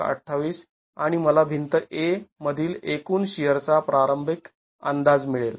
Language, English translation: Marathi, 28 and I get the initial estimate of the total shear in wall A